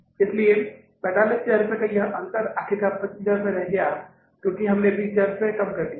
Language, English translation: Hindi, So, this difference of 45,000 has finally remained as 25,000 rupees because we have reduced here 20,000 rupees